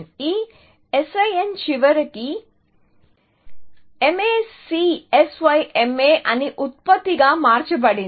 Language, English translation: Telugu, This SIN was eventually, transformed into a product called MACSYMA